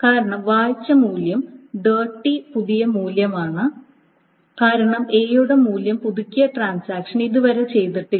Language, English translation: Malayalam, Because the value that is red is a new value which is dirty because the transaction that updated the value of A has not yet committed